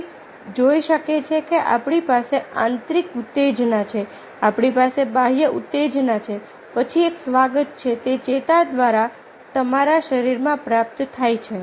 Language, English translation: Gujarati, one can see that we have the internal stimuli, we have external stimuli, then there is a reception, it received in your body through nerves